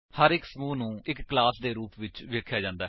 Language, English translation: Punjabi, Each group is termed as a class